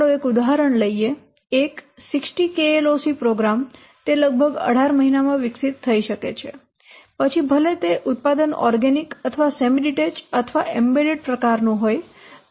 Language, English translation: Gujarati, Let's take an example for example a 60 KLOC program it can be developed in approximately 18 months, irrespective of whether the product is organic or semi detas or embedded type